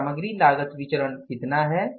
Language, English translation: Hindi, So, what is the material cost variance